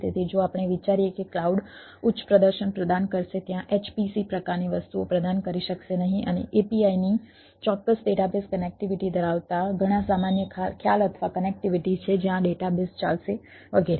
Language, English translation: Gujarati, so we so if we think that cloud will provide ah high performance with may not provide there h, p, c type of things and there are several general concept or connectivity of a p i s having particular database connectivity, where the database will run, etcetera